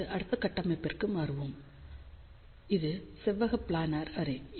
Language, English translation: Tamil, Now, we will shift to the next configuration, which is rectangular planar array